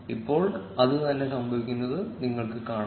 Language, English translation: Malayalam, Now you will see the same happening